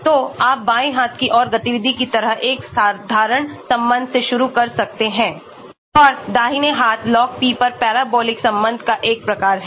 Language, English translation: Hindi, So, you may start with a simple relationship like activity on the left hand side and on the right hand side log p we have a parabolic type of relation